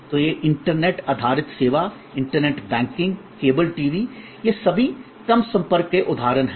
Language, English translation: Hindi, So, these internet based service, internet banking, cable TV, these are all examples of low contact